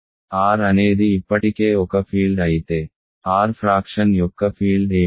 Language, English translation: Telugu, If R is a field already R is a field what is the field of fraction of R